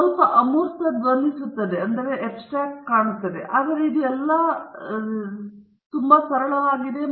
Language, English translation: Kannada, Sounds a bit abstract, but it is quite straight forward after all